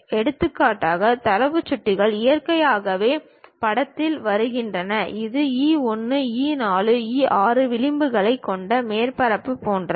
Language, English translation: Tamil, For example, data pointers naturally come into picture, something like a surface that is having edges E 1, E 4, E 6